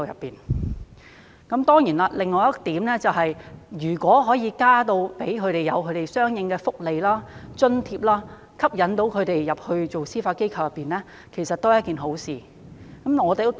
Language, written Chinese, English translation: Cantonese, 另一方面，如果可以增加相應的福利和津貼，吸引他們加入司法機構，其實亦是一件好事。, Meanwhile it is also desirable if the benefits and allowances can be increased correspondingly to attract them to join the Judiciary